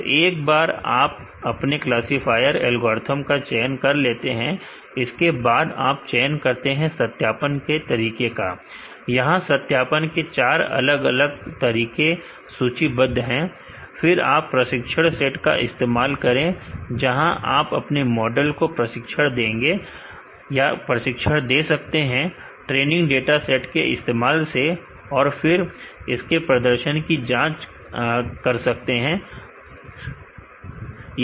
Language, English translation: Hindi, So, once you are chosen your classifier other algorithm, second you choose the validation method, there is a four different validation method listed here, use training set, where you could train your model using the training dataset and test its performance on the training set